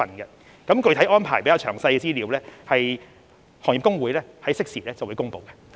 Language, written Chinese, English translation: Cantonese, 至於具體安排和詳細資料，行業公會會適時公布。, The Industry Associations will announce the specific arrangement and relevant details in a timely manner